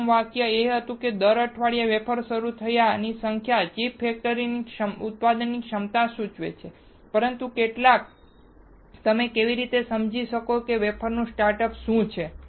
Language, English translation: Gujarati, First sentence was that the number of wafer starts per week indicates the manufacturing capacity of a chip factory, but how many, how you can understand what is wafer start